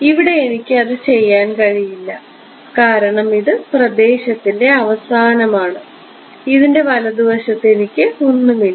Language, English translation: Malayalam, Here I cannot do that because it is the end of the domain I have nothing to the right of this